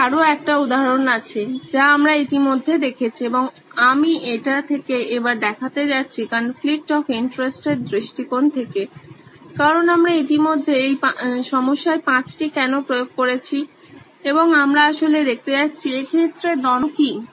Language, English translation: Bengali, I have another example that we’ve already looked at and I am going to look at it from, this time from a conflict of interest perspective, because we have already applied 5 whys to this problem and we are actually going to see what is the conflict in this case